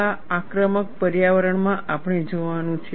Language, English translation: Gujarati, What kind of aggressive environments that we have to look at